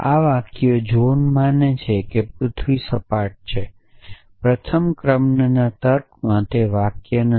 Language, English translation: Gujarati, So, this sentences john believes at the earth is flat is not a sentences in first order logic